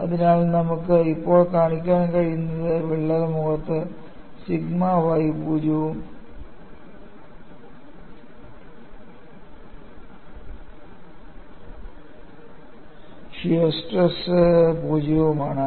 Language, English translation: Malayalam, So, what we are able to now, show, is, on the crack phase, sigma y is 0 as well as shear stress is 0